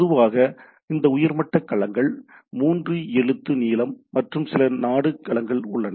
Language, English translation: Tamil, Typically these top level domains are three character length and there are few country domains